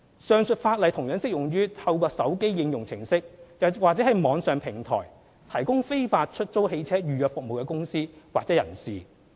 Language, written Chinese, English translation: Cantonese, 上述法例同樣適用於透過手機應用程式或網上平台提供非法出租車預約服務的公司或人士。, The aforesaid provisions are also applicable to companies or persons who provide booking services for illegal hire car service through smartphone applications or online platforms